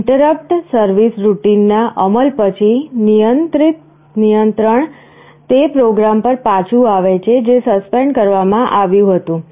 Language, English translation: Gujarati, After execution of the interrupt service routine, control comes back to the program that was suspended